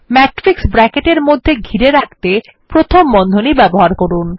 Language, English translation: Bengali, Use parentheses to enclose the matrix in brackets